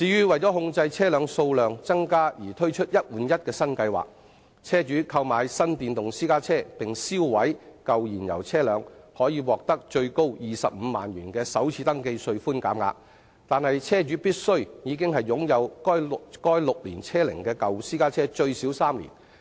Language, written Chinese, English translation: Cantonese, 為控制車輛數量增加，政府推出"一換一"新計劃，車主購買新電動私家車並銷毀舊燃油車輛可獲最多25萬元的首次登記稅寬減額，但車主必須已擁有該6年車齡的舊私家最少3年。, To contain the number of vehicles the Government has launched the one - for - one replacement scheme under which the buyer of a new electric private car who scraps his old fuel - engined private car can enjoy an FRT concession of up to 250,000 . But his old car must be aged six years or above and he must have owned it for at least three years